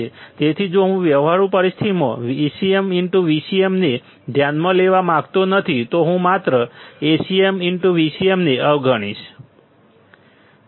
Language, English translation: Gujarati, So, if I do not want to consider Acm into Vcm in practical situation then I cannot just ignore Acm into Vcm